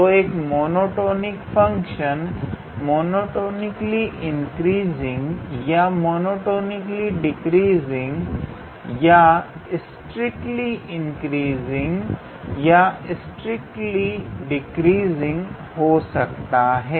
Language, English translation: Hindi, So, a function can be monotonically increasing or monotonically decreasing or it can be strictly increasing or strictly decreasing